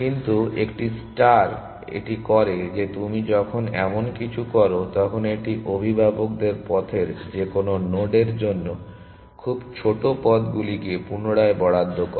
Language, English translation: Bengali, But a star does is that when you does something like this it reallocates parents too shorter paths to any node on the way